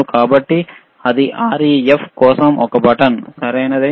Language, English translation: Telugu, So, that is a button for REF, all right